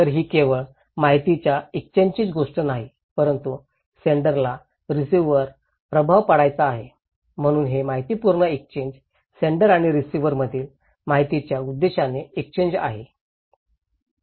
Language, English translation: Marathi, So, it’s not only a matter of exchange of informations but sender wants to influence the receiver, so it is a purposeful exchange of information, purposeful exchange of informations between senders and receivers